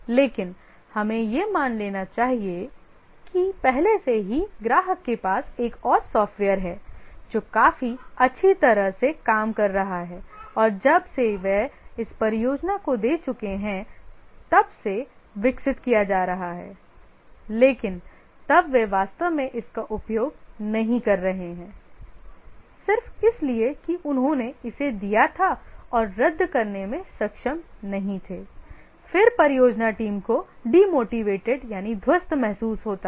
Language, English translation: Hindi, But let's assume that already the customer has got hold of another software which is working quite well and since they have already given this project it's being developed but then they may not use it actually just because they had given it and not able to cancel then the project team feel demotivated they don don't have the instrumentality